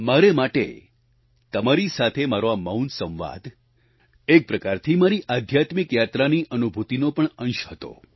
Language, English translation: Gujarati, For me, this nonvocal conversation with you was a part of my feelings during my spiritual journey